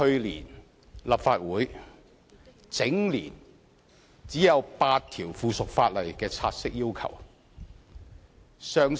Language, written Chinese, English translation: Cantonese, 立法會去年全年只有8項附屬法例議員要求察悉。, For the whole of the last legislative session the Council was only requested to take note of eight items of subsidiary legislation